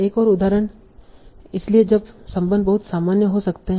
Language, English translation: Hindi, Another example, So the relation can be also very very generic